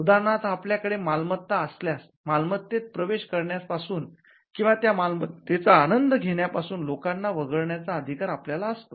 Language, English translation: Marathi, For instance, if you own a property, then you have a right to exclude people from getting into the property or enjoying that property